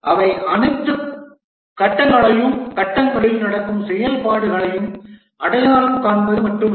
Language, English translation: Tamil, They are not only they identify all the phases and the activities that take place in the phases